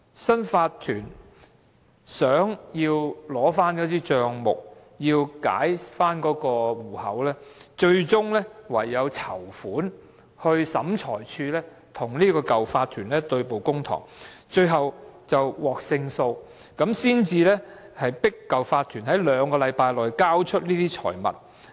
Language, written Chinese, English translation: Cantonese, 新的法團為取回帳目，解除被凍結的戶口，最終只有籌款，與原有法團在審裁處對簿公堂，最後獲得勝訴，才能迫使原有法團在兩星期內交出這些財物。, To recover the account books and reactivate the frozen bank account the new OC had no way but to raise funds to bring the previous OC to court . It was only after they had won the case that they could press the previous OC to return these properties to the new OC in two weeks